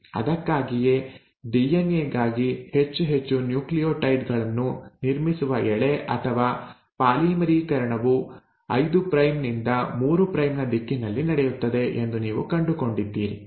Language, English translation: Kannada, That is why you find that the Strand or the polymerisation, building up of more and more nucleotides for DNA happens from a 5 prime to a 3 prime direction